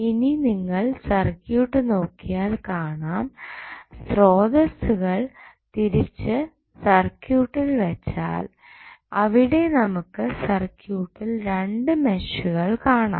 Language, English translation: Malayalam, Now, when you see the circuit, why by keeping the sources back to the circuit, you will see there would be 2 meshes in the circuit